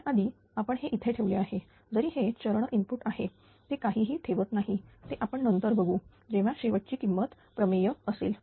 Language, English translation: Marathi, Because already we have put it here although it is a step input that do not put anything that we will see later when he lose final value theorem